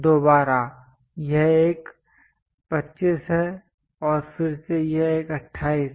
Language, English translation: Hindi, Again, this one is 25 and again this one 28